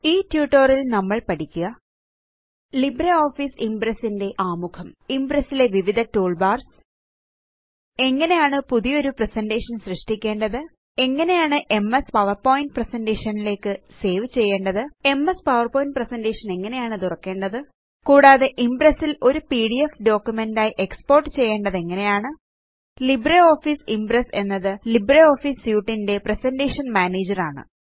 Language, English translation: Malayalam, In this tutorial, we will learn: Introduction to LibreOffice Impress Various Toolbars in Impress How to create a new presentation How to save as MS PowerPoint presentation How to open an MS PowerPoint presentation and How to export as a PDF document in Impress LibreOffice Impress is the presentation manager of the LibreOffice Suite